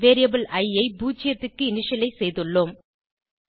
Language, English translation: Tamil, We have initialized the variable i to 0